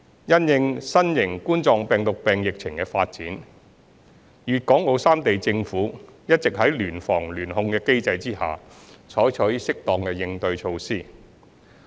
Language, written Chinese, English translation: Cantonese, 因應新型冠狀病毒病疫情的發展，粵港澳三地政府一直在聯防聯控的機制下採取適當的對應措施。, In response to the development of COVID - 19 the governments of Guangdong Hong Kong and Macao have been taking appropriate measures under the cooperation mechanism on joint prevention and control of the epidemic